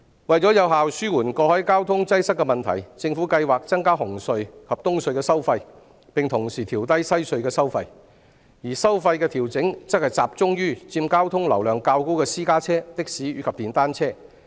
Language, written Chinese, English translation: Cantonese, 為有效紓緩過海交通擠塞的問題，政府計劃增加紅磡海底隧道及東區海底隧道的收費，並同時調低西區海底隧道的收費，而收費的調整會集中於佔交通流量較高的私家車、的士和電單車。, In order to effectively alleviate the congestion problem of the cross harbour traffic the Government plans to increase the tolls for the Cross Harbour Tunnel at Hung Hom CHT and the Eastern Harbour Crossing EHC and at the same time reduce the tolls for the Western Harbour Crossing WHC while the toll adjustment will focus on private vehicles taxis and motorcycles which account for a bigger share of the traffic volume